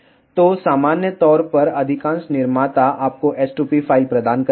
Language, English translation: Hindi, So, in general most of the manufacturers provide you s2p file